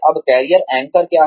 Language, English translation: Hindi, Now, what are career anchors